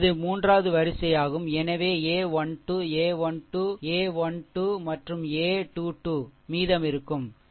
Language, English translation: Tamil, This is the third row ah so, a 1 2, a 1 3 and a 1 2, a 1 3 and a 2 2, a 2 3 will be remaining, right